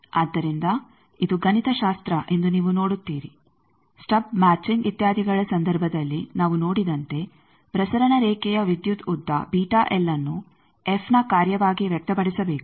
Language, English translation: Kannada, So, you see this is the mathematics, again as we have seen in case of the stub matching etcetera that beta L, the electric length of the transmission line that should be expressed as a function of f